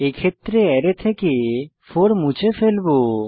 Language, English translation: Bengali, In our case, 4 will be removed from the Array